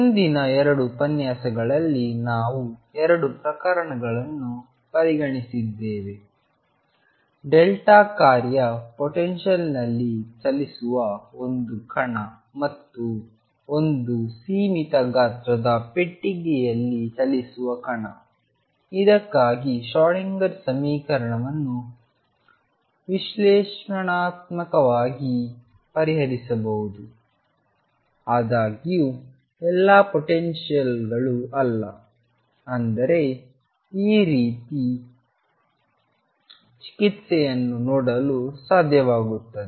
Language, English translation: Kannada, In the previous 2 lectures, we have considered 2 cases; one of a particle moving in a delta function potential and particle moving in a finite size box for which the Schrodinger equation could be solved analytically; however, all potentials are not; I mean able to see this kind of treatment